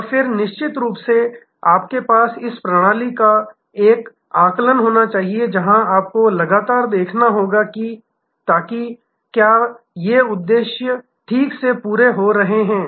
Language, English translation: Hindi, And then, of course, you must have an assessment of this your system, where you must continuously see, so that whether these objectives are properly being fulfilled